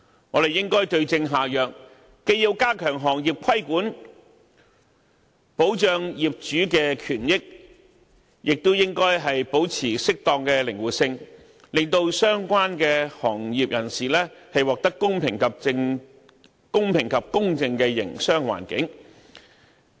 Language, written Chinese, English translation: Cantonese, 我們應該對症下藥，既要加強行業規管，保障業主的權益，也應保持適當的靈活性，為相關行業人士提供公平及公正的營商環境。, We should suit the solution to the problem by strengthening regulation of the industry to protect the rights and interests of owners while maintaining certain flexibility in providing a fair and just business environment for relevant industry practitioners